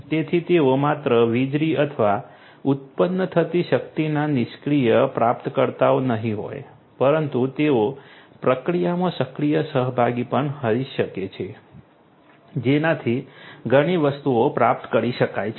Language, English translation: Gujarati, So, they cannot they will not be just the passive recipients of the electricity or the power that is generated, but they can also be an active participant in the process thereby many things can be achieved